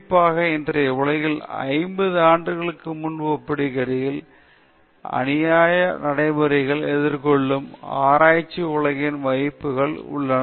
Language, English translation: Tamil, Particularly, in todayÕs world, there is the chances of, you know, research world encountering unethical practices are more compared to some 50 years ago